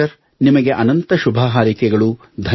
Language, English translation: Kannada, Doctor, many good wishes to you